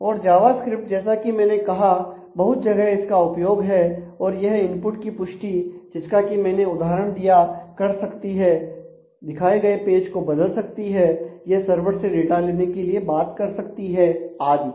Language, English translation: Hindi, And Java script as I have said is widely used and it can function to check for input validity which I gave an example of it can modify the displayed web page, it can communicate with the web server to fetch data and so, on